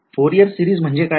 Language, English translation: Marathi, What is Fourier series